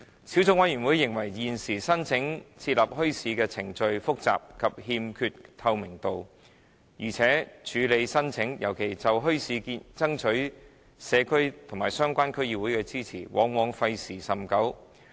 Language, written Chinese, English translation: Cantonese, 小組委員會認為現時申請設立墟市的程序複雜，欠缺透明度，而且處理申請尤其就墟市爭取社區和相關區議會的支持，往往費時甚久。, The Subcommittee considers the current application procedures for establishing bazaars complicated and non - transparent and that the processing of applications often takes a long time